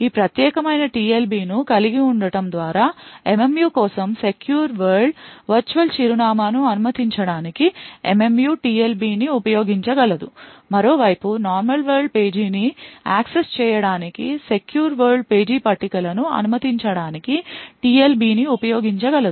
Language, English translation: Telugu, By having this particular TLB The MMU would be able to use the TLB to allow secure world virtual address for MMU would be able to use the TLB to permit a secure world page tables to access normal world page on the other hand it can also prevent a normal world page table from accessing a secure world page